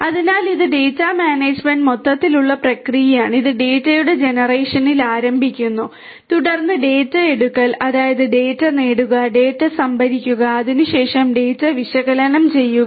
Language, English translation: Malayalam, So, this is the overall process of data management it starts with the generation of the data, then acquisition of the data; that means, getting the data, storing the data and there after analysing the data